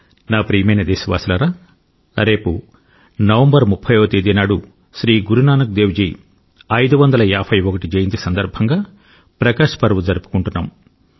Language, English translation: Telugu, tomorrow on the 30th of November, we shall celebrate the 551st Prakash Parv, birth anniversary of Guru Nanak Dev ji